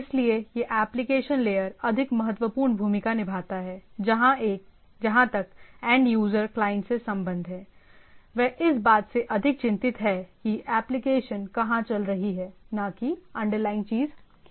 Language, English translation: Hindi, So this application layer as we all understand plays the more, most vital role as far as the end user of the clients are concerned right, more concerned about the application which is running over the things right, not the underlying thing